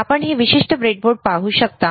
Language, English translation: Marathi, Can you see this particular breadboard